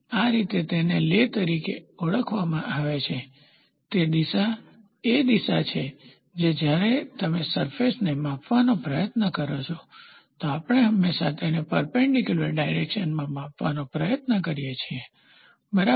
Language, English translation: Gujarati, This way it is called as the lay, the lay is the direction which is when you try to measure roughness, we always try to measure it in the perpendicular direction, ok